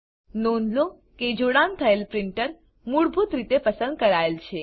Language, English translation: Gujarati, Notice that the connected printer is selected by default